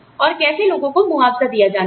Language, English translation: Hindi, And, how people are to be compensated